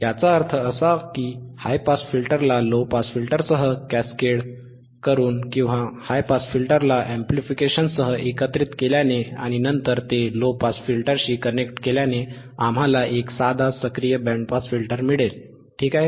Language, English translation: Marathi, That means that, now by cascading the high pass with low pass ends and integrating high pass with amplification, and then connecting it to low pass, this will give us the this will give us a high a simple active band pass filter, alright